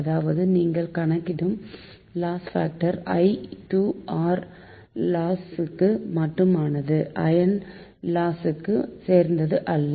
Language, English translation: Tamil, that means loss factor you can compute is for i square r loss only, but not for iron losses, right